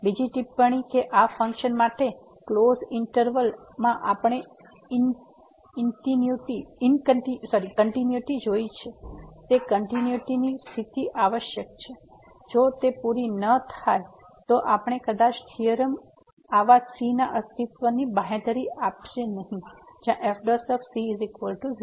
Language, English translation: Gujarati, Another remark that the continuity condition which we have seen the continuity in the closed interval for this function is essential, if it is not met then we may not that the theorem may not guarantee the existence of such a where prime will be 0